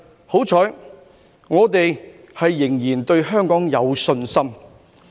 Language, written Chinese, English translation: Cantonese, 幸好，我們仍然對香港有信心。, Thankfully we still have confidence in Hong Kong